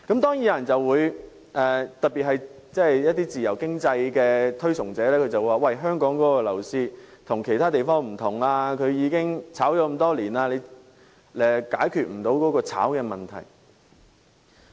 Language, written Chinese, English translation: Cantonese, 當然，有些人尤其是自由經濟的推崇者會表示香港的樓市與其他地方不同，因為炒賣情況多年如是，根本無法解決。, Of course some people those who advocate free economy in particular may say that the property market in Hong Kong is different from those in other places since speculation which has existed for years is an unsolvable issue